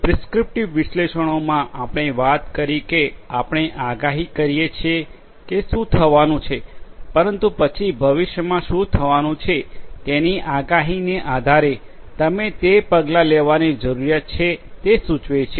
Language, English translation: Gujarati, In prescriptive analytics we are talking about that we predict that what is going to happen, but then based on that prediction of what is going to happen in the future, you prescribe the different you prescribe the different actions that needs to be taken